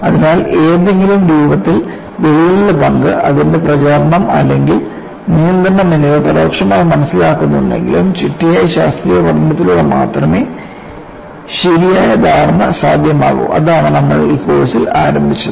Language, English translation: Malayalam, So, though in some form, the role of crack and its propagation or control is understood indirectly, a proper understanding is possible only through a systematic scientific study; that is what we have embarked up on in this course